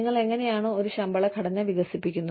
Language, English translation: Malayalam, How do you develop a pay structure